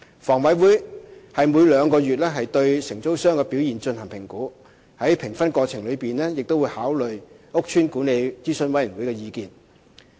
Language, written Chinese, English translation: Cantonese, 房委會每兩個月對承租商的表現進行評估，在評分過程當中會考慮屋邨管理諮詢委員會的意見。, HA will assess the performance of single operators every two months taking into account feedbacks from the Estate Management Advisory Committees